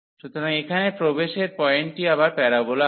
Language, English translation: Bengali, So, here the entry point is again the parabola